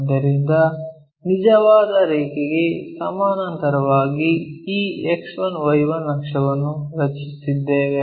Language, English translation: Kannada, So, parallel to the true line, we are drawing this X 1, Y 1 axis